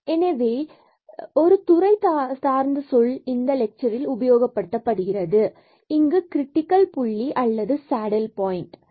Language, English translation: Tamil, So, there will be another terminology used for used in this lecture there will be critical point and the saddle points